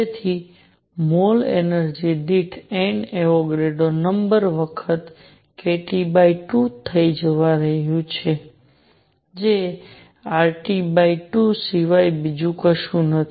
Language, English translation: Gujarati, So, per mole energy is going to be N Avogadro times k T by 2 which is nothing but R T by 2